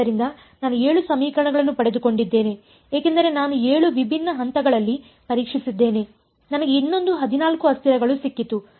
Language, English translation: Kannada, So, I got 7 equations because I tested at 7 different points I got another of 14 variables